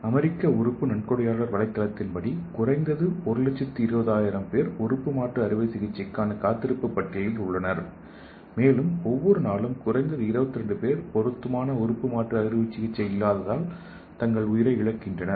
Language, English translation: Tamil, So according to American organ donor website at least 120000 people are in the waiting list for organ transplantation and each day at least 22 people lose their life due to lack of suitable organ transplantation so you can think about the whole world how many people are losing their life without suitable organ transplant